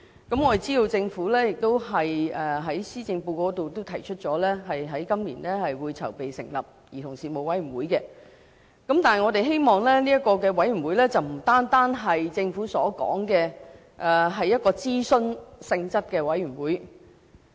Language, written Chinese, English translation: Cantonese, 我們知道政府在施政報告中提出，今年會籌備成立兒童事務委員會，但我們希望這個委員會不單是政府所說屬諮詢性質的委員會。, We understand that the Government has stated in the Policy Address that preparations will be made this year for setting up a Commission on Children but we hope that the Commission will not only be an advisory committee as referred to by the Government